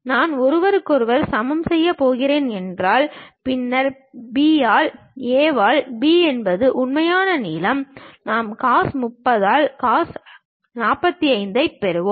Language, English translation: Tamil, If I am going to equate each other; then B by A by B which is true length; I will get cos 45 by cos 30